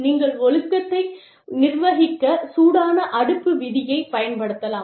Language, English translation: Tamil, A way in which, you can administer discipline, is the hot stove rule